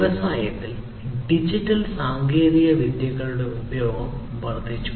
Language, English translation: Malayalam, So, there was more and increased use of digital technologies in the industry